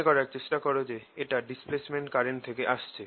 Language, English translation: Bengali, remember, this is coming from the displacement current